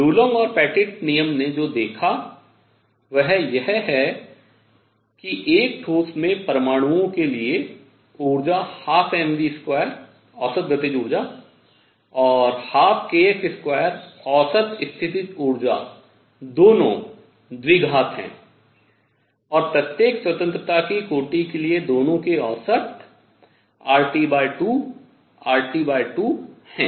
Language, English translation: Hindi, What Dulong and Petit law observed is that for atoms in a solid, energy is 1 half m v square average kinetic energy and 1 half k x square average potential energy both are quadratic and both average R T by 2 R T by 2 for each degree of freedom